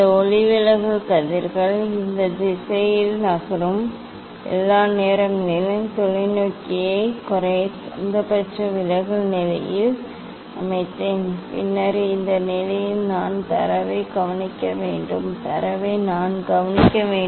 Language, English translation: Tamil, all the time these refracted rays this out going rays it is moving in this direction, I set the telescope at the minimum deviation position then at this position I have to note down the data, I have to note down the data